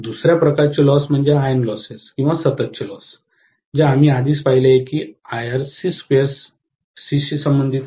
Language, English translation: Marathi, The second kind of loss I have is iron loss or constant loss, which we already saw that that is corresponding to Ic square Rc